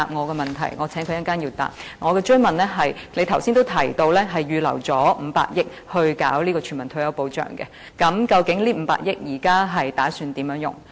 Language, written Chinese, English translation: Cantonese, 我的補充質詢是：局長剛才也提及預留了500億元來推行全民退休保障，究竟這500億元現時打算如何運用？, My supplementary question is The Secretary also mentioned just now that 50 billion had been set aside for the implementation of universal retirement protection so what is the plan on using this 50 billion?